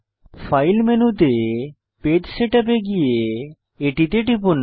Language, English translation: Bengali, Go to File menu, navigate to Page Setup and click on it